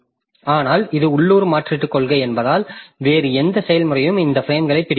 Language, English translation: Tamil, But since it is a local replacement policy, no other process can grab these frames also